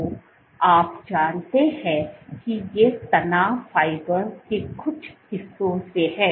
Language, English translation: Hindi, So, you know that these are form parts of stress fibers